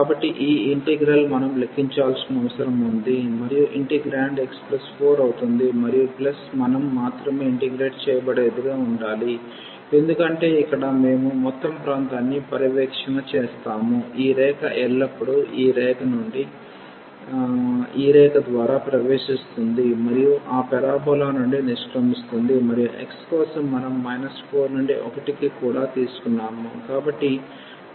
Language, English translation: Telugu, So, this integral we need to compute and the integrand will be x plus 4 and plus we have to yeah that is the only integral because we have cover the whole region here, this line is always entering through this line and exit from that parabola and then for x we have also taken from minus 1 minus 4 to 1